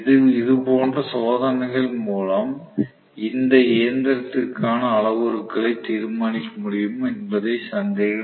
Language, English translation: Tamil, Similar tests are going to be able to determine the parameters for this machine as well, no doubt